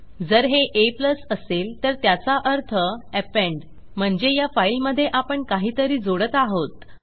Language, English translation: Marathi, Now if it was a+ that means append so Im appending something onto the file, which means that Im adding to it